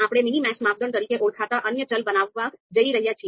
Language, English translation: Gujarati, So we are going to create another variable called minmax criteria